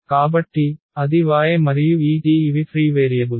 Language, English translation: Telugu, So, that was y and this t these are the free variables